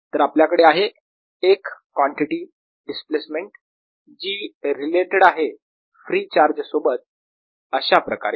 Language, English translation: Marathi, so we have got one quantity displacement which is related to the free charge, like this